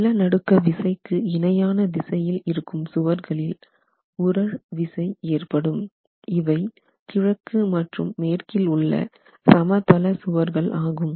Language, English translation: Tamil, The inertial force generated by the walls parallel to the direction of the earthquake force, these are the in plain walls that we are talking about which were the east and the west walls